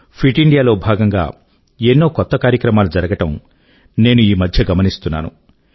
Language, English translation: Telugu, By the way, these days, I see that many events pertaining to 'Fit India' are being organised